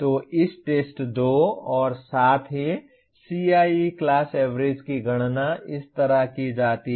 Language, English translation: Hindi, So for this test 2 as well and then CIE class average is computed like this